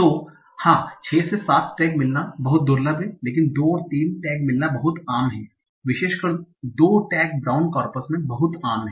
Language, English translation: Hindi, So yes, getting 6 and seven tech is very, very rare, but getting two and three tax is quite common, especially two tax is very common in the brown corpus